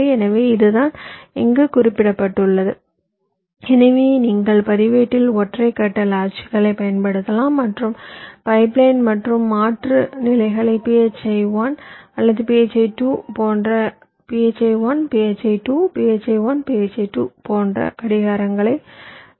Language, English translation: Tamil, so this is what is mentioned here, so you can use single phase latches in the registers and the pipeline and alternate stages can be clocked by phi one or phi two, like phi one, phi two, phi one, phi two, like that